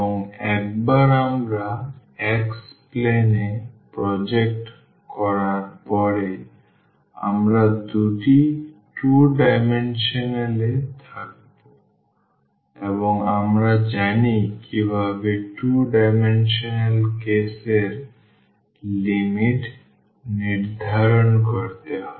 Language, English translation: Bengali, And, once we project to the xy plane we are in the 2 dimensions and we know how to fix the limit for 2 dimensional case